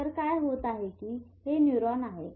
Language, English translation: Marathi, So what is happening is that this is a neuron